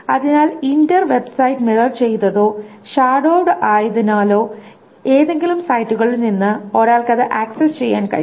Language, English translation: Malayalam, So the entire website is mirrored or shadowed so that one can access it from any of those sites